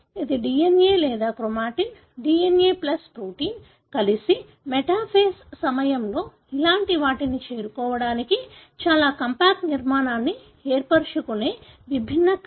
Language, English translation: Telugu, So, this is the different order by which the DNA or the chromatin, the DNA plus protein together they form very compact structure to arrive at something like this during the metaphase